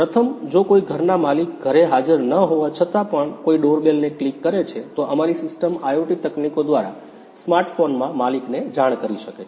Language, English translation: Gujarati, First one is if somebody clicks a doorbell even though the owner of the house is not present at house, our system can inform the owner on a smart phone through IoT technologies